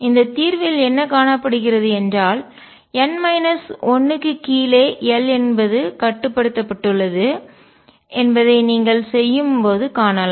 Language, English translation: Tamil, And what is also found in this solution when you do it that l is restricted to below n minus 1